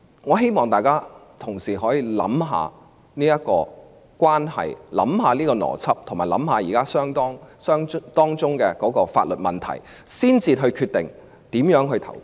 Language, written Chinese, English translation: Cantonese, 我希望同事可以想一想上述邏輯，兩宗案件的關係及當中的法律問題，才決定如何表決。, I hope Members will think about the aforementioned reasoning as well as the relationship and legal issues of the two cases before deciding on how to vote